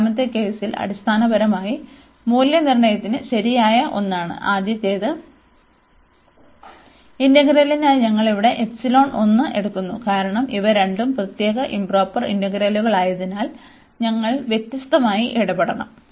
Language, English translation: Malayalam, In the second case, which is the correct one for the evaluation basically, we take the epsilon one here for the first integral, and because these two are the separate improper integrals, so we should deal differently